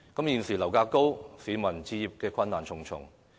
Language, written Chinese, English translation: Cantonese, 現時樓價高企，市民置業困難重重。, In the face of high property prices people have great difficulties in buying a flat